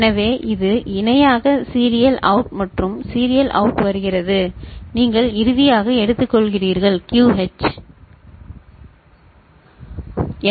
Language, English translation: Tamil, So, this is parallel in serial out and serial out is coming, you are taking from finally, QH ok